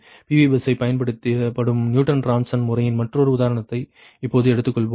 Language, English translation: Tamil, right now we take another, another example of newton raphson method: ah, that is using pu bus